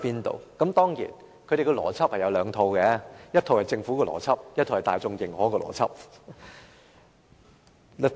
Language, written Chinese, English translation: Cantonese, 當然，他們有兩套邏輯：一套是政府的邏輯，一套是大眾認可的邏輯。, Of course there are two sets of logic the Governments logic and the logic recognized by the public